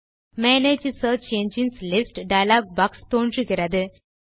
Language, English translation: Tamil, The Manage Search Engines list dialog box pops up